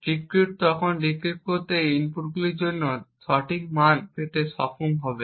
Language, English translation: Bengali, The decryptor would then be able to decrypt and get the correct values for the inputs